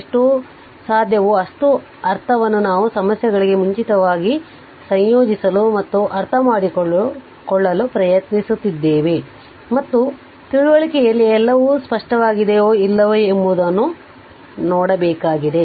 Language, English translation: Kannada, So, as many as I mean as much as possible we have tried to incorporate prior to the problems and understand and we have to see that whether everything in understanding is clear or not